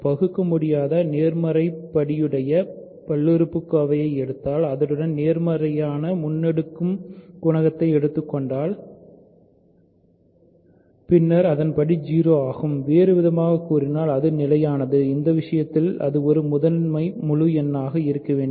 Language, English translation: Tamil, We showed that if you take an irreducible integer polynomial with positive leading coefficient then either its degree is 0, in other words it is constant in which case it must be a prime integer